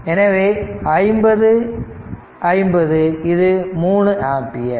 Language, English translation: Tamil, So, it is 50 50 and this is 3 ampere